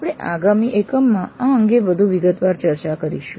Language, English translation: Gujarati, We will discuss this in greater detail in the next unit